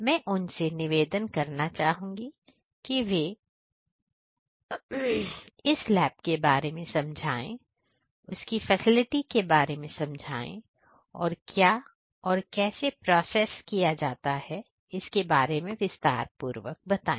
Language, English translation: Hindi, So, I am going to request them to speak about this particular lab and the facility that they have, what is the processing that is done, how it is being done; all the details